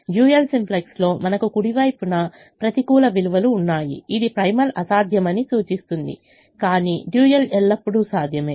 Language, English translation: Telugu, in the dual simplex we had negative values on the right hand side indicating that the primal could be infeasible, but the dual was always feasible